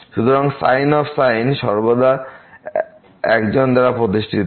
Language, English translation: Bengali, So, the is always founded by one